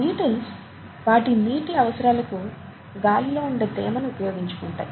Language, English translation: Telugu, There are beetles which use moisture in the air for their water requirements